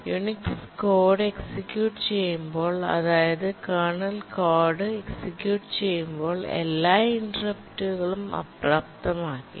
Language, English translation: Malayalam, When the Unix code is being executed, that is the kernel code is being executed, then all interrupts are disabled